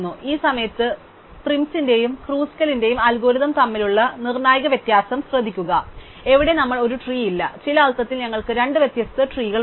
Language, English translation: Malayalam, So, we add that, notice now the crucial difference between PrimÕs and KruskalÕs algorithm at this point, we do not have a tree, we have two separate trees in some sense